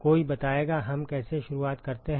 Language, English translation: Hindi, Anybody how do we start